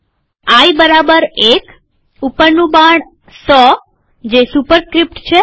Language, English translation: Gujarati, I equals 1, up arrow 100,which is the superscript